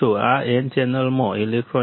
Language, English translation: Gujarati, This is electrons within n channels